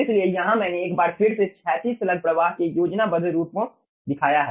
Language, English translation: Hindi, so here i have shown once again the schematic of horizontal slug flow